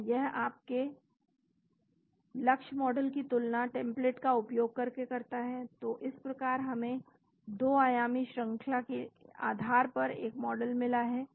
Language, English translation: Hindi, So, it compares your target model with using the template and so we got a model based on the 2 dimensional sequence